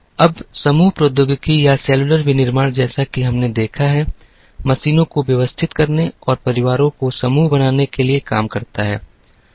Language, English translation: Hindi, Now, group technology or cellular manufacturing as we have seen, deals with organizing machines and grouping parts to families